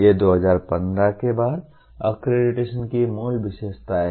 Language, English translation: Hindi, These are the basic features of accreditation post 2015